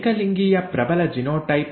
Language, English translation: Kannada, Homozygous dominant genotype